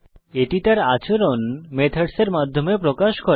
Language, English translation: Bengali, It exposes its behavior through methods